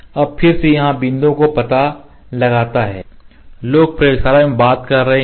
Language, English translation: Hindi, Now again locating the points here, the people are talking in the laboratory